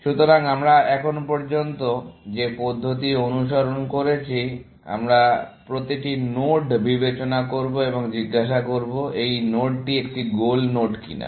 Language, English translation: Bengali, So, in the approach that we have followed so far, we will consider every node and ask, whether this node is a goal node or not, essentially